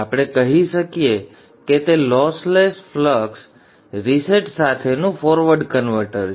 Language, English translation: Gujarati, So as you can see this is the lossless core reset type of forward converter